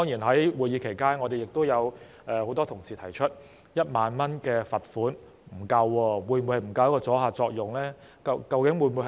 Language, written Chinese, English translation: Cantonese, 在會議期間，很多同事指出1萬元罰款不足夠，阻嚇作用會否不足？, During the meetings many colleagues pointed out that a fine of 10,000 was not enough and questioned whether the deterrent effect would be insufficient